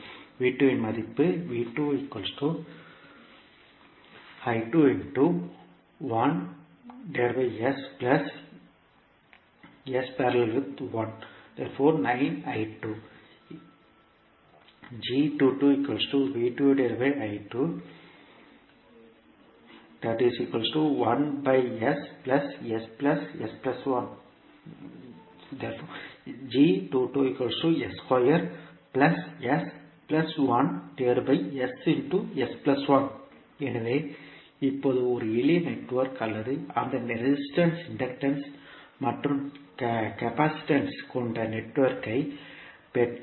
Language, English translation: Tamil, So now, whether it is a simple network or if you get the network having that resistance, inductance and capacitance